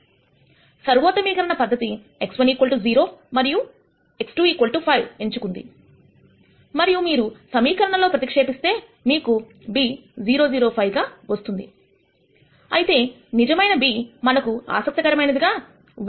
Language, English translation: Telugu, 25 the optimization approach chooses x 1 equal to 0 and x 2 equal to 5 and when you substitute it back into the equation you get b as 0 0 5 whereas, the actual b that we are interested in is 1 minus 0